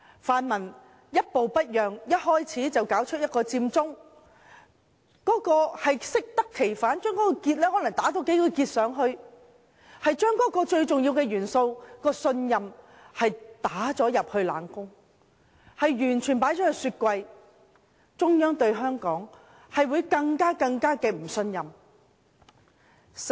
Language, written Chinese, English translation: Cantonese, 泛民一步不讓，甫開始便發起佔中，效果適得其反，在那個結上再多打幾個結，把信任這個最重要的元素打入冷宮、放入雪櫃，最終只是令中央對香港更加不信任。, With the pan - democrats adopting an unyielding stance and launching Occupy Central from the outset the results were just counterproductive as if more knots had been tied onto the original knot . As the most important element of trust was disregarded and ignored the Central Authorities would only become more distrustful about Hong Kong